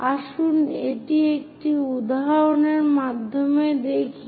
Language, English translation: Bengali, Let us look at that through an example